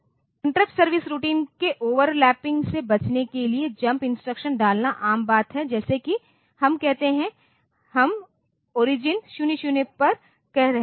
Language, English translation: Hindi, So, to avoid overlapping of interrupt service routines so, it is common to put jump instruction, like here say, we are we are putting say at origins 00